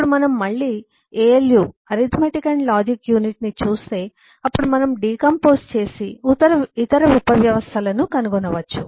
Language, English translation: Telugu, now in turn, again, if you look at eh, the alu, the arithmetic and logical unit, then we can decompose and find the other sub systems